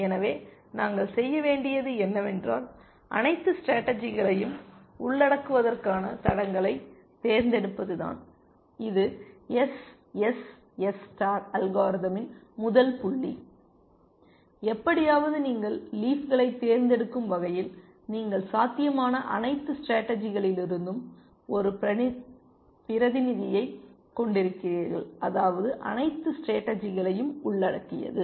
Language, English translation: Tamil, So, what we need to do is to select leads to cover all strategies, that is the first point of SSS star algorithm, that somehow you select the leaves in such a manner that, you have a representative from all possible strategies, which means you have covered all strategies